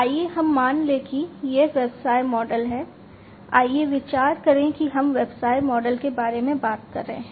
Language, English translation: Hindi, Let us assume, that this is the business model, let us consider that we are talking about the business model